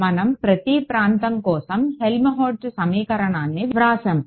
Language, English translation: Telugu, We wrote down the Helmholtz equation for each region right